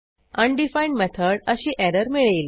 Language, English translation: Marathi, It will give an undefined method error